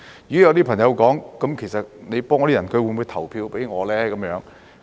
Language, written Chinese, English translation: Cantonese, 如果有些朋友說，你幫助那些人，他們會否投票給你？, If some friends ask Will these people vote for you as you are helping them?